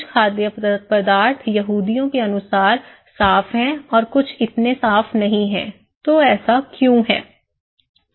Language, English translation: Hindi, Well, some foods are clean according to the Jews people and some are not so clean, so why it is so